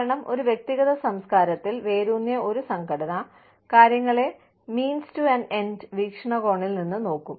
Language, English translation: Malayalam, Because, an organization rooted in an individualistic culture, will look at things, from the means to an end perspective